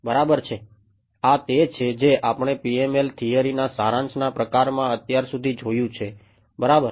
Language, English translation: Gujarati, Right so, this is what we are seen so far of a sort of summary of the PML theory right